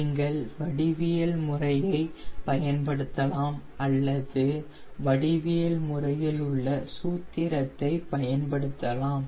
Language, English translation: Tamil, you can either use a geometrical method or you can use formula [gemetri/geometrical]